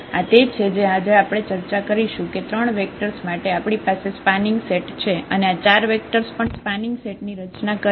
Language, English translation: Gujarati, And this is what we will discuss today that having these 3 vectors we have a spanning set having this 4 vectors, that also form a spanning set